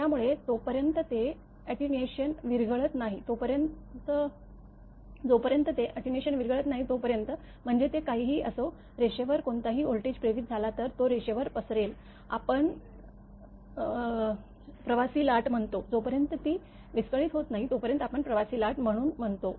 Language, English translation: Marathi, So, until it is dissipated by attenuation; I mean whatever it is, if any voltage induced on the line, it will propagate along the line; we call traveling wave, as a traveling wave until it is dissipated by attenuation